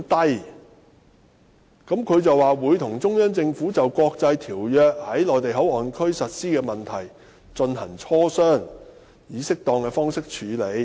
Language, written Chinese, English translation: Cantonese, "政府表示"會與中央政府就國際條約在'內地口岸區'的實施問題進行磋商，並以適當的方式處理。, According to the Government it would engage in consultations [with the Central Peoples Government] on the implementation of international treaties in the MPA and handle the matter as appropriate